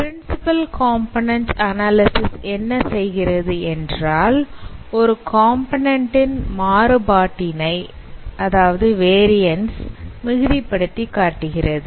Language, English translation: Tamil, What principal competent analysis does, it maximizes variance of a component